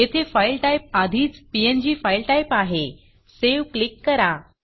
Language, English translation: Marathi, The File type is already here png , and click Save